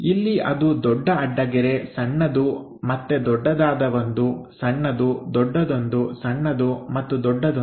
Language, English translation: Kannada, So, here that big dash, small, again big one, small, big one, small and big one